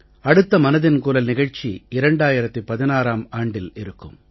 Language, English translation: Tamil, The next edition of Mann ki Baat will be in 2016